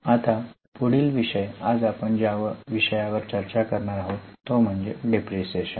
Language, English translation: Marathi, The next one is the topic which we are going to discuss today that is about depreciation